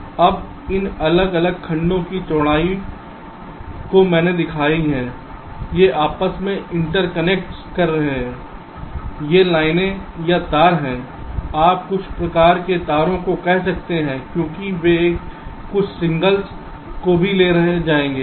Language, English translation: Hindi, these are the interconnects i am talking, these are the lines or wires you can say some kind of wires, because they will be carrying some signals